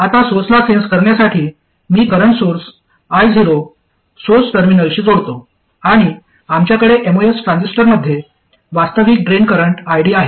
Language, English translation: Marathi, Now to sense at the source, I connect the current source I not to the source terminal and we have the actual drain current ID in the most transistor